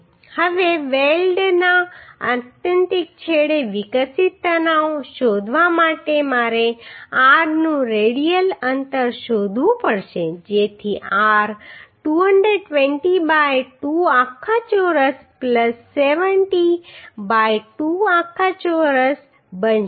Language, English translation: Gujarati, Now to find out the stress developed stress at the extreme end of the weld I have to find out the r the radial distance so that r will become 220 by 2 whole square plus 70 by 2 whole square right